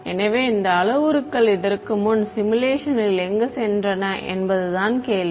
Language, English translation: Tamil, So, the question is about where do these parameters go in the simulation before